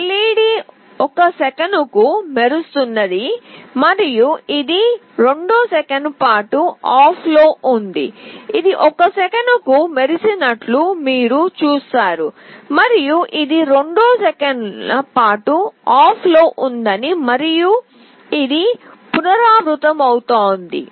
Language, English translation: Telugu, The LED is glowing for 1 second and it is off for 2 second, you see it is glowing for 1 second and it is off for 2 second and this is repeating